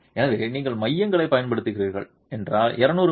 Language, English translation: Tamil, So if you are using cores, don't use anything less than 200 m m